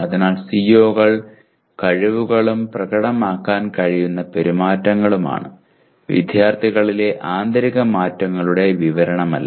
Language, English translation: Malayalam, So COs are competencies and the behaviors that can be demonstrated; not descriptions of internal changes in the students